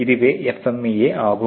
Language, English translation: Tamil, So, what really is this FMEA